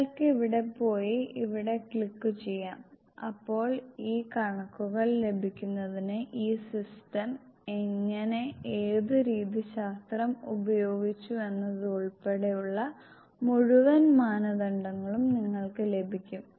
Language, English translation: Malayalam, You can go here and click on here and you will get the entire norms how and what methodology this system has used to get this calculations